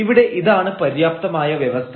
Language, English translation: Malayalam, So, here this is the sufficient condition